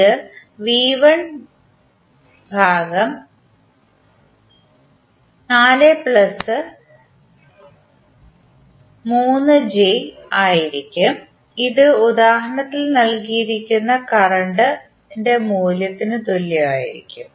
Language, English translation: Malayalam, It will be V 1 upon 4 plus j3 and this will be equal to the current value which is given in the example